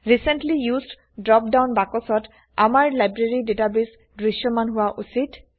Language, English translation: Assamese, In the Recently Used drop down box, our Library database should be visible